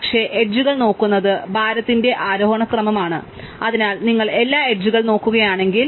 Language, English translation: Malayalam, But, we have been looking at edges an ascending order of weight, so if you look at all the edges